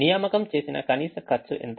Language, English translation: Telugu, what is the minimum cost of assignment